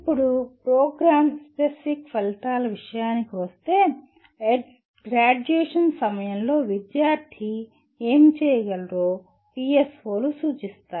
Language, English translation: Telugu, Now coming to Program Specific Outcomes, PSOs represent what the student should be able to do at the time of graduation